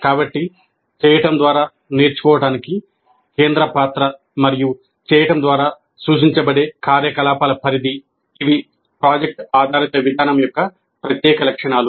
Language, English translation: Telugu, So the central role accorded to learning by doing and the scope of activities implied by doing, these are the distinguishing features of product based approach